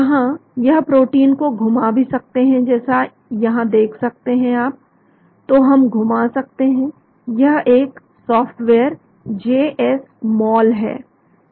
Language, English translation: Hindi, Here we can even rotate the protein as you can see here, so we can rotate this is a software JSmol